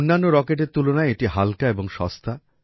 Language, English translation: Bengali, It is also lighter than other rockets, and also cheaper